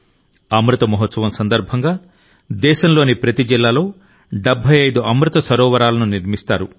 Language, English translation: Telugu, During the Amrit Mahotsav, 75 Amrit Sarovars will be built in every district of the country